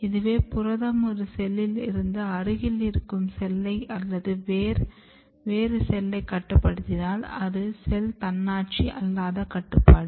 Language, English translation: Tamil, Protein is present in one cell and regulating identity of the neighboring cell or some different cell then it is called non cell autonomous regulation